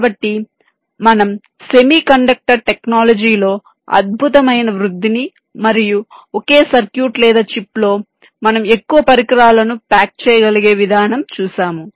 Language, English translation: Telugu, so we are seeing a fantastic growth in the semi conducted technology and the way we are able to pack more and more devices in a single circuit or a chip